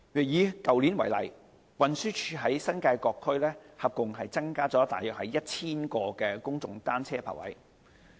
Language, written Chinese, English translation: Cantonese, 以去年為例，運輸署在新界各區合共增加約 1,000 個公眾單車泊位。, TD provided about 1 000 more public bicycle parking spaces in various districts in the New Territories